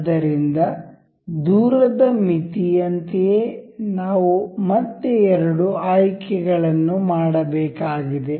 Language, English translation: Kannada, So, same as in distance limit, we have again the two selections to be made